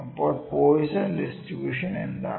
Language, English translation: Malayalam, So, what is Poisson distribution